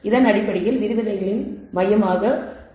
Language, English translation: Tamil, This is basically going to be the focus of the lectures